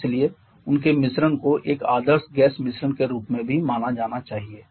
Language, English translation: Hindi, And therefore their mixture also should be treated as an ideal gas mixture